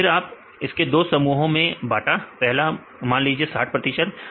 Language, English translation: Hindi, Then you make it as 2 groups first you say 60 percent